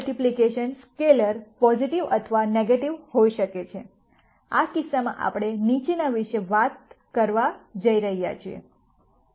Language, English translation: Gujarati, Now this multiplication scalar could be positive or negative, in which case we are talking about the following